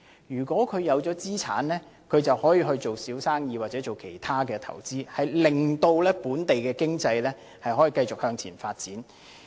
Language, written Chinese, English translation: Cantonese, 如果他們擁有資產，便可以做小生意或其他投資，令本地經濟可以繼續向前發展。, If they own property they will be able to start small businesses or engage in other investment activities so that our local economy will continue to progress